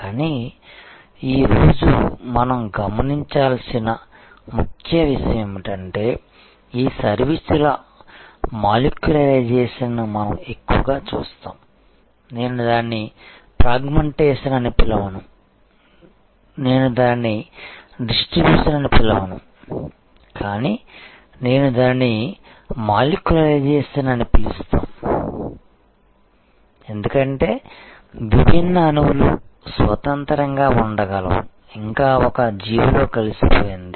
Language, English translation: Telugu, But, the key point that one should note today, that more and more we will see this molecularization of services I would not call it fragmentation I would not call it distribution, but I am calling it molecularization, because just as different molecules can be independent yet integrated into an organism